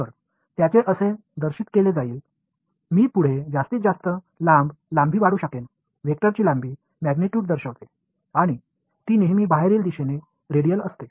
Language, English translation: Marathi, So, they will be represented like this, start with as I go further outside I can draw longer length, the length of the vector denotes the magnitude and it is always radially outwards